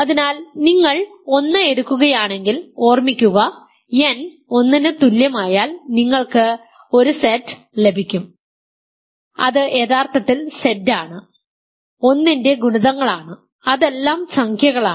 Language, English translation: Malayalam, So, if you take one remember n equal to 1 you get 1Z which is actually Z all multiples of 1, that is all integers